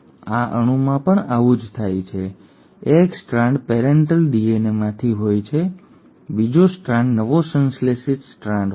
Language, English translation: Gujarati, The same thing happens in this molecule, one strand is from the parental DNA, the other strand is the newly synthesised strand